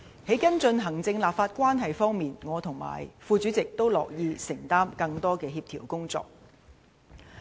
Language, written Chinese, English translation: Cantonese, 在跟進行政立法關係方面，我和副主席均樂意承擔更多的協調工作。, To follow up on efforts to improve the executive - legislature relationship the Deputy Chairman and I are happy to take up more coordination work